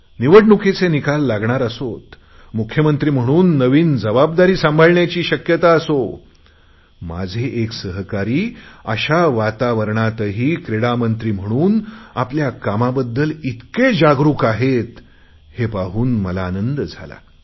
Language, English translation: Marathi, With election results being due, with the distinct possibility of a new responsibility as a Chief Minister, and yet if one of my colleagues, in the capacity of a Sports Minister, displays such concern for his work, then it gives me great joy